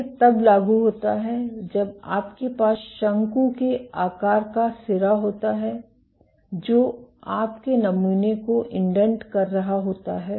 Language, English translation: Hindi, This is applicable when you have a conical tip which is indenting your sample